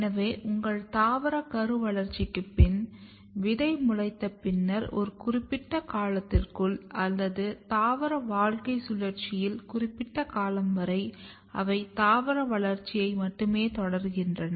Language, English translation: Tamil, So, when your plant start post embryonic development after seed germination at a certain time period or up to certain period of time in the life cycle they only continue the vegetative growth